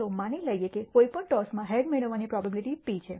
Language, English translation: Gujarati, Let us assume p is the probability of obtaining a head in any toss